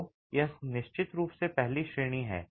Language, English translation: Hindi, So, this is definitely the first category